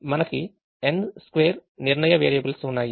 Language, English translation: Telugu, there are n square decision variables